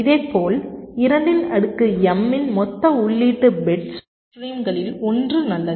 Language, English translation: Tamil, similarly, two to the power m is the total input bit streams